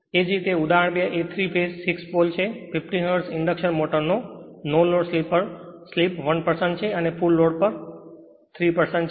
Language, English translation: Gujarati, Similarly, example 2 is a 3 phase, 6 pole, 50 hertz induction motor has a slip of 1 percent at no load and 3 percent of full load right